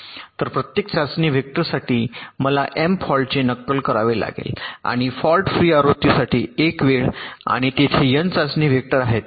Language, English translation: Marathi, so for every test vector i have two simulate for the m faults and one time for the fault free version, and there are n test vector, so n multiplied by m plus one